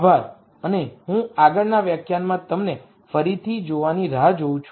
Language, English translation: Gujarati, Thank you and I look forward to seeing you again in the next lecture